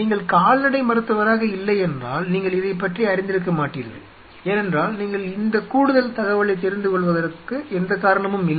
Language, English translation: Tamil, See if you are not in veterinarian will not be aware of it because there is no reason for you to know this additional piece of information